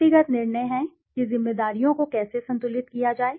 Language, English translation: Hindi, Personal decision is how to balance responsibilities